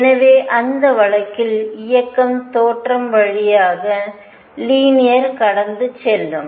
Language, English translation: Tamil, So, in that case the motion will be linear passing through the origin